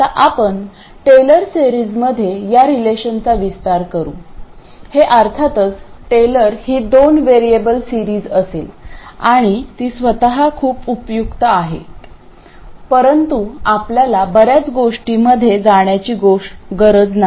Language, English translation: Marathi, This will of course be a Taylor series of two variables and they are very useful by their own right but for us we don't need to go into too many details